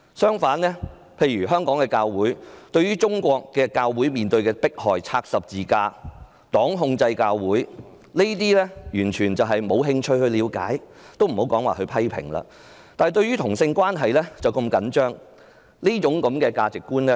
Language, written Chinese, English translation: Cantonese, 香港的教會對於中國教會面對的迫害，包括拆十字架、黨控制教會等完全沒有興趣了解，也莫說批評了，但對於同性關係卻如此着緊。, Churches in Hong Kong are totally indifferent to churches in China being oppressed their crosses being demolished or their churches being controlled by the Communist Party not to mention their inaction to criticize such acts . However they are very concerned about homosexual relationships